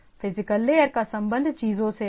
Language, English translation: Hindi, So, physical layer is concerned to the things